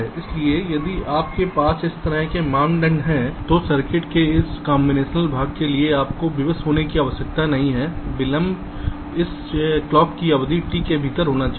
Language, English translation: Hindi, so if you have a criteria like this, then for this combinational part of the circuit you need not constrain the delay to be within that clock period of t